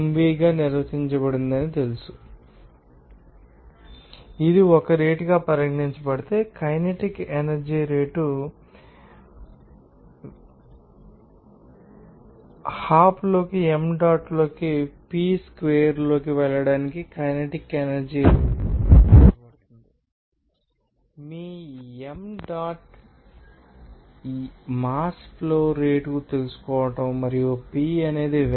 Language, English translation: Telugu, If it is regarded as a rate then you can say that it will be you know that rate of kinetic energy they need to be you know defined as the rate of kinetic energy to go to hop into m dot into p square your m dot is you know mass flow rate and p is the velocity